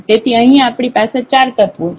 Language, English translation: Gujarati, So, here we have 4 elements